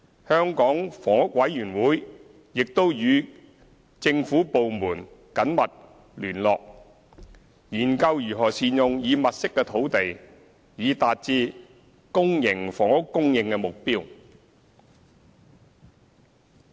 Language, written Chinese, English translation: Cantonese, 香港房屋委員會亦與政府部門緊密聯絡，研究如何善用已物色的土地，以達至公營房屋供應目標。, The Hong Kong Housing Authority HA will continue to maintain close liaison with the relevant government departments and examine ways to better utilize the sites identified so as to achieve the supply target of PRH